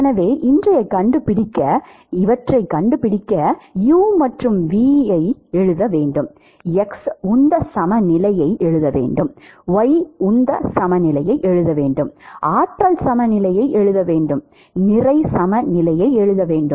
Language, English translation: Tamil, So, in order to find these, we need to write for u and v, we need to write the X momentum balance, we need to write the Y momentum balance, we need to write the Energy balance and we need to write the Mass balance